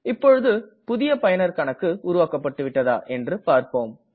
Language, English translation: Tamil, Let us now check, if the user account has been created